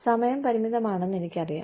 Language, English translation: Malayalam, We, I know the time is limited